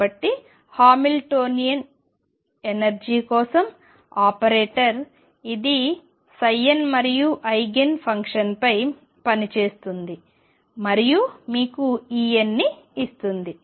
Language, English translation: Telugu, So, Hamiltonian is the operator for energy it acts on psi n and Eigen function and gives you E n